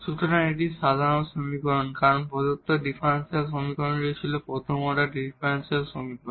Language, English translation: Bengali, So, this is the general solution because the given differential equation was the first order differential equation